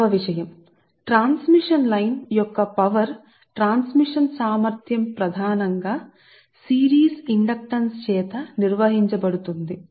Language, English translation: Telugu, therefore this your power transmission capacity of the transmission line is mainly governed by the series inductance right